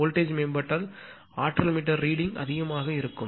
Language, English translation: Tamil, If voltage in improves then naturally energy meter reading will be higher right